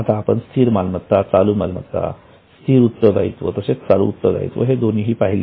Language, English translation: Marathi, Now we have understood both non current assets, current assets, then non current liabilities current liabilities